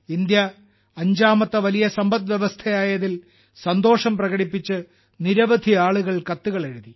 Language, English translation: Malayalam, Many people wrote letters expressing joy on India becoming the 5th largest economy